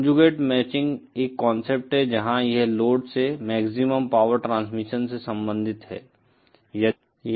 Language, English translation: Hindi, The conjugate matching is a concept where it relates to the maximum power transfer to the load